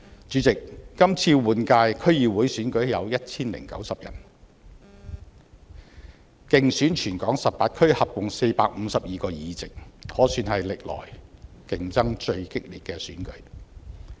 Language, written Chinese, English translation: Cantonese, 主席，今次換屆區議會選舉有 1,090 位候選人，競逐全港18區合共452個議席，可算是歷來競爭最激烈的選舉。, President there are 1 090 candidates running for the upcoming DC General Election to compete for 452 seats in the 18 districts . It can be said that this is the most contested election ever held in Hong Kong